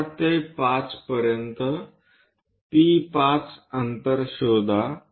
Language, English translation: Marathi, From 4 to 5, locate a distance P5